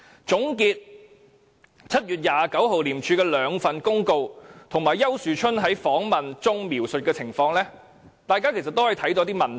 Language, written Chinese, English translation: Cantonese, 總結廉署於7月29日發出的兩份公告，以及丘樹春在訪問中描述的情況，大家其實可看出一些問題。, It would not be difficult for us to identify some questions if we take a closer look at the two notices issued by ICAC on 29 July and the account given by Ricky YAU during the interview